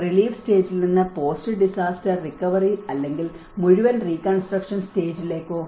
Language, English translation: Malayalam, Is it from the relief stage to the post disaster recovery or the whole reconstruction stage